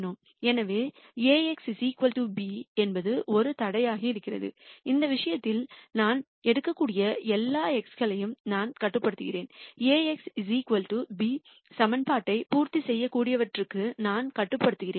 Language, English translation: Tamil, So, ax equal to b is a constraint there in which case I am constraining of all the x’s that I can take I am constraining to those which would satisfy the equation ax equal to b